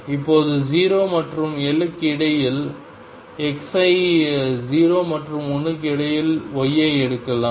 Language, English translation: Tamil, And now I can take y between 0 and 1 for x varying between 0 and L